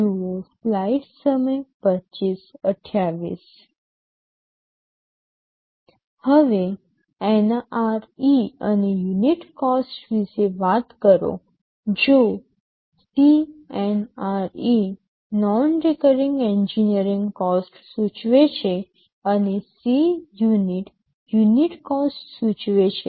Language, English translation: Gujarati, Now, talking about the NRE and unit cost, if CNRE denotes the non recurring engineering cost, and Cunit denotes the unit cost